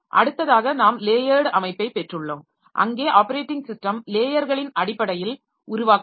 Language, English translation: Tamil, Then we have got a layered structure also where operating system is developed in terms of layers